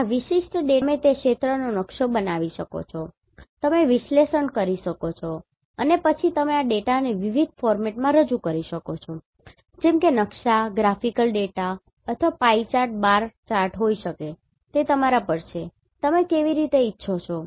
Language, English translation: Gujarati, In this particular data and you can map the area you can perform the analysis and then you can represent this data in different format like map, graphical data or may be pie chart bar chart, it is up to you, how do you want